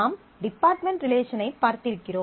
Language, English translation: Tamil, You have seen the department relation